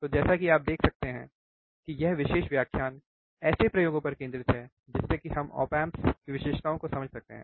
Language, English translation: Hindi, So, as you see that this particular lecture is focused on experiments on understanding op amp characteristics